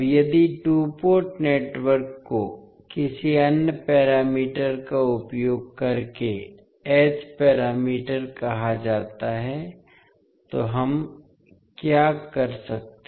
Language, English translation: Hindi, Now, if the two port networks are represented using any other parameters say H parameter, what we can do